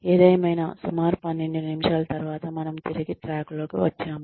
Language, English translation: Telugu, But anyway, so about 12 minutes later, we are back on track